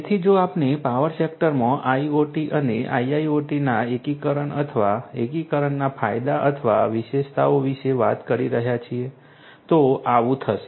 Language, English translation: Gujarati, So, if we are talking about the benefits or the features of incorporation or integration of IoT and IIoT in the power sector this is what would happen